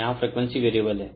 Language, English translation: Hindi, Frequency is variable here